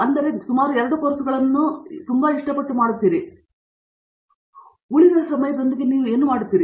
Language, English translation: Kannada, But, now you probably doing like about 2 courses, what you do with the rest of the time